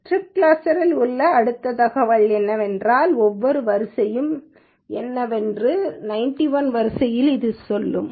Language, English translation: Tamil, The next piece of information that strip cluster contains is it will say among 91 rows what does each row belong to